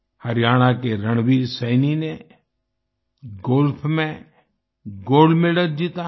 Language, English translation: Hindi, Haryana's Ranveer Saini has won the Gold Medal in Golf